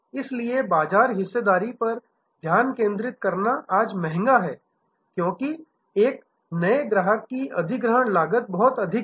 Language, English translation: Hindi, So, focusing on market share is expensive today, because acquisition cost of a new customer is much higher